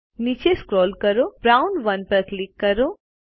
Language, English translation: Gujarati, Scroll down and click on Brown 1